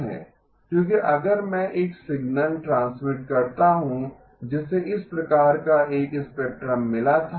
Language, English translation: Hindi, Because if I transmitted a signal that had got a spectrum of this type